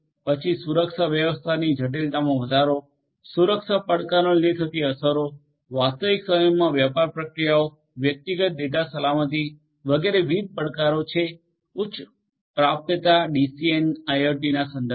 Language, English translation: Gujarati, Then increase in the complexity of security management, impacting impacts due to security challenges, real time business processes, personal data safety, etcetera are different challenges with respect to high availability and IIoT in the context of DCN